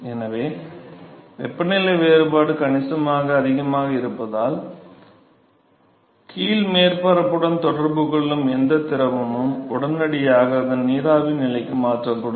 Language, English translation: Tamil, So, the temperature difference is significantly higher that any fluid which comes in contact with the bottom surface is going to be instantaneously converted into its vapor stage